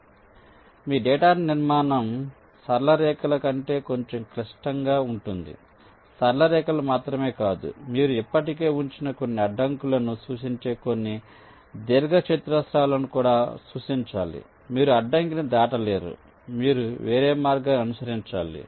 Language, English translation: Telugu, so your data structure will be slightly more complex then straight lines, not only straight lines, you also have to represent some rectangles which represent some obstacles already placed